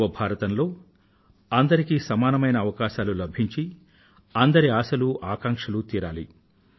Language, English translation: Telugu, In the New India everyone will have equal opportunity and aspirations and wishes of everyone will be fulfilled